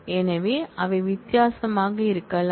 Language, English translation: Tamil, So, they can be different